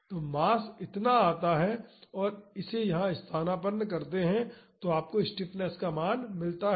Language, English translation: Hindi, So, the mass comes to be this much and substitute it here, you get the value of the stiffness